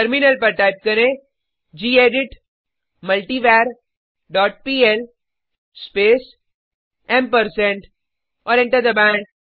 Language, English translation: Hindi, onTerminal type gedit multivar dot pl space ampersand and press Enter